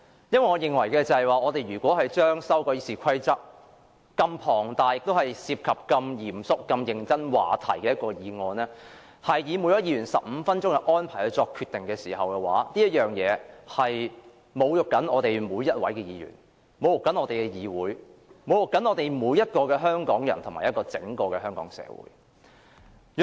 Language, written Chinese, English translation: Cantonese, 我認為，如此龐大地修改《議事規則》，並涉及如此嚴肅和認真的話題，只安排每位議員發言15分鐘後便作決定，是侮辱我們每一位議員、侮辱我們的議會、侮辱每一名香港人和整個香港社會。, In my view given such extensive amendments to the Rules of Procedure RoP involving such a grave and serious subject the arrangement for each Member to speak for only 15 minutes before making the decision is an insult to each and every Member to this Council of ours to every Hongkonger and the entire Hong Kong society